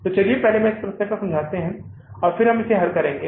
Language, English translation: Hindi, So let's first understand this problem and then we will solve it